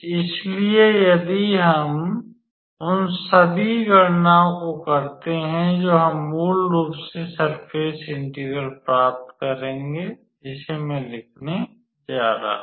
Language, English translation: Hindi, So, if we do all those calculation, then we will basically obtain let us say if we will basically obtain the surface integral which I am going to write as